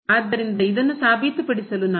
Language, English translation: Kannada, So, what we need to show